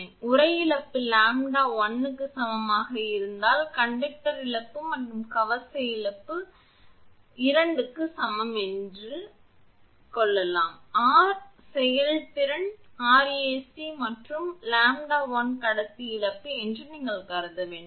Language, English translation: Tamil, So, if sheath loss is equal to lambda 1 into conductor loss and armour loss say is equal to lambda 2 into conductor loss; therefore, R effective is equal to R ac plus you have to consider that your lambda 1 into conductor loss